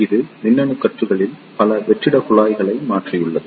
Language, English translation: Tamil, It has replaced many of the vacuum tubes in electronic circuits